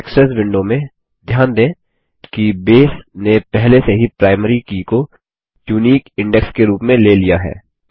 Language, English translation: Hindi, In the Indexes window, notice that Base already has included the Primary Key as a unique Index